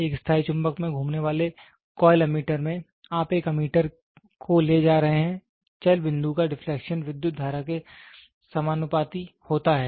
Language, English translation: Hindi, In a permanent magnet moving coil ammeter, you are taking an ammeter the deflection of the moving point is directly proportional to the current